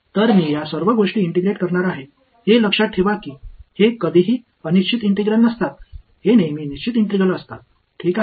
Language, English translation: Marathi, So, I am going to integrate this whole thing ok, remember these are never indefinite integrals; these are always definite integrals ok